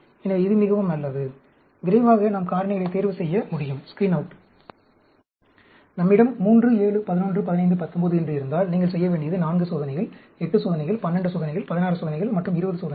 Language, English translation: Tamil, So, it is extremely good; quickly we can screen out factors; and ideally, if we have say 3, 7, 11, 15, 19, all you have to do is 4 experiments, 8 experiments, 12 experiments, 16 experiments, and 20 experiments